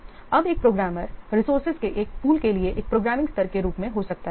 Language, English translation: Hindi, So now, but a programmer may belong to a pool of resources at the programming level